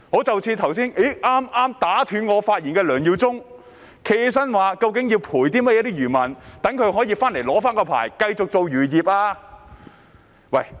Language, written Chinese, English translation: Cantonese, 正如剛才打斷我發言的梁耀忠議員，他便問到要給予漁民甚麼賠償，又如何讓他們領回牌照繼續經營漁業。, As in the case of Mr LEUNG Yiu - chung who had just interrupted my speech he asked about the compensation to be offered to fishermen and how they can get back their licence to continue with their fishing operations